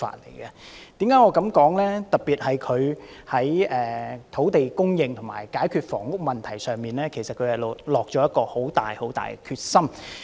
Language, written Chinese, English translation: Cantonese, 行政長官特別在土地供應和解決房屋問題方面，下了很大的決心。, In particular the Chief Executive has resolved to address the problems of land supply and housing